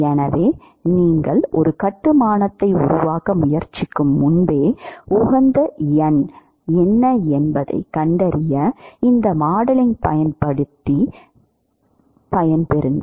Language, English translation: Tamil, So, you really want to use these modeling to find out what is the optimal number, even the before you attempt to make a construction